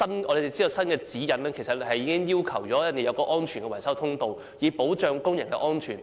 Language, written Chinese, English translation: Cantonese, 我們知道，現在新的指引要求要設有安全維修通道，以保障工人安全。, We know that the new guidelines already require the provision of safe repairs access for ensuring workers safety